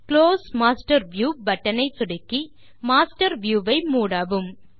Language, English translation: Tamil, Close the Master View by clicking on the Close Master View button